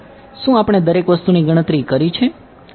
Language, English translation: Gujarati, Have we calculated everything